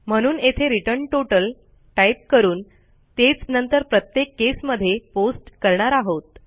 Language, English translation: Marathi, So we are going to say return total and we are going to copy that and paste it down for each case